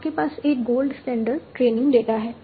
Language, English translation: Hindi, You have a gold standard training data